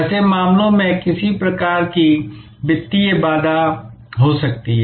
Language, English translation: Hindi, In such cases, there can be some kind of financial barrier